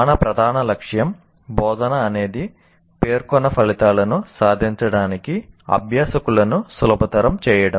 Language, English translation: Telugu, So instruction, our main goal is instruction should facilitate the learners to attain stated outcomes